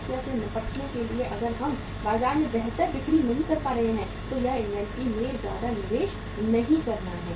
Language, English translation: Hindi, To deal with the problem if we are not able to sell in the market better it is not to make much investment in the inventory